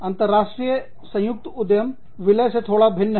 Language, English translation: Hindi, International joint ventures is slightly different than, mergers